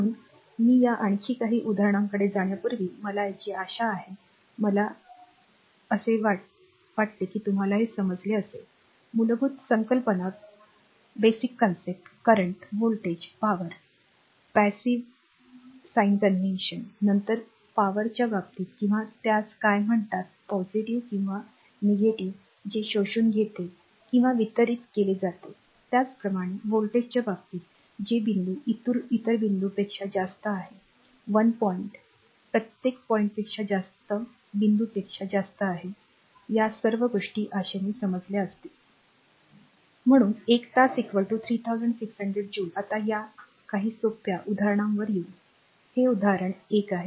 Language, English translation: Marathi, So, I hope up to this before going to this few more example, I hope up to this you have your understood your what you call the basic concept the current the voltage the power and the passive sign convention right and then in the case of power that your what you call that plus or minus that absorbed or delivered, similarly in the case of voltage that which point is higher than the other point 1 point is higher than higher point other point that per your voltage, all this things hopefully you have understood right Therefore one hour is equal to 3600 joules right now come to that few simple examples that how much charge is represented by 5524 electrons this is example 1